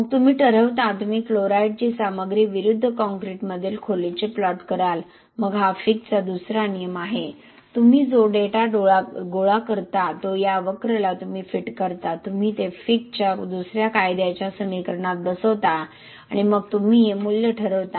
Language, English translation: Marathi, Then you determine, you plot the chloride content versus the depth in the concrete then this is Fick’s second law, you fit this curve to this whatever the data which you collect, you fit that to the Fick’s second law equation and then you determine this value here, what is diffusion coefficient